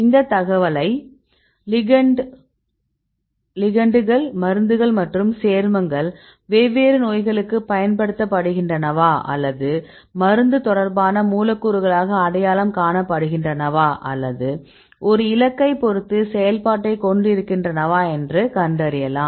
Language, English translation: Tamil, So, we can use this information to get these your ligands and which drugs and which compounds are used for different diseases or they identified as the drug related molecules or it can give the activity with respect to a target